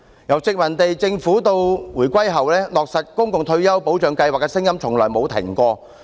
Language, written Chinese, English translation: Cantonese, 由殖民地政府到回歸後，落實公共退休保障計劃的聲音從沒停止。, From the era of the colonial Government to the post - reunification era the voices calling for the implementation of a public retirement protection scheme have never abated